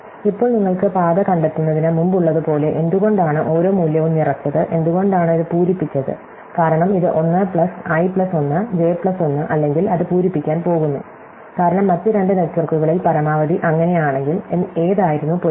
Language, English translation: Malayalam, And now as before you can trace back the path, why was each value filled, was it filled, because it to 1 plus i plus 1, j plus 1 or it goes to fill, because max with other two networks, if so which was the match